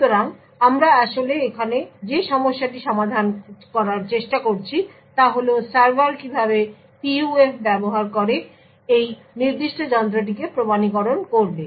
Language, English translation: Bengali, So the problem that we are actually trying to solve here is that how would the server authenticate this particular device using the PUF